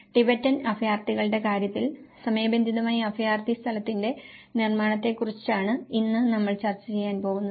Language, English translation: Malayalam, Today, we are going to discuss about the production of refugee place in time in the case of Tibetan refugees